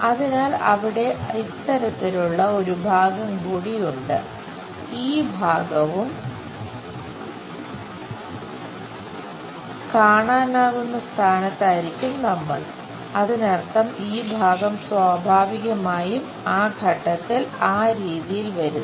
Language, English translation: Malayalam, So, there is something like this part also will be in a position to see; that means, this part naturally comes at that stage in that way